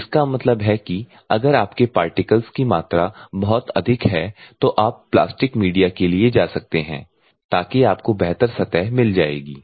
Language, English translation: Hindi, So that means, that if you are particles volume is very high you can go for the plastic media so that you will get a better surface finish